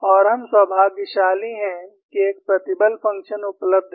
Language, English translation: Hindi, And we are fortunate that, there is a stress function available